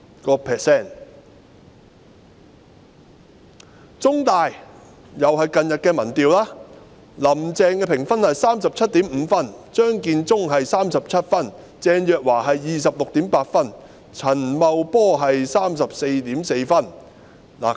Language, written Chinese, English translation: Cantonese, 根據香港中文大學同樣在近日進行的民調，"林鄭"評分是 37.5 分，張建宗是37分，鄭若驊是 26.8 分，陳茂波是 34.4 分。, According to an opinion poll of The Chinese University of Hong Kong CUHK which was also conducted recently Carrie LAMs rating is 37.5 whereas the ratings of Matthew CHEUNG Teresa CHENG and Paul CHAN are 37 26.8 and 34.4 respectively